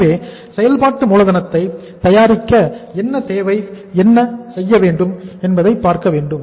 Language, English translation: Tamil, So it means preparation of working capital what is required to be done here